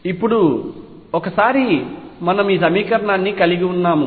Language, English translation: Telugu, Now, once we have this equation